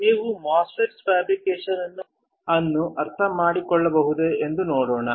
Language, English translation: Kannada, Let us see whether you guys can understand the fabrication of the MOSFET